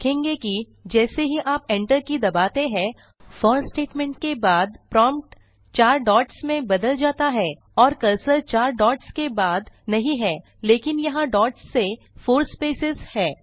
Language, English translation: Hindi, You will notice that, as soon as you press the enter key after for statement, the prompt changes to four dots and the cursor is not right after the four dots but there are four spaces from the dots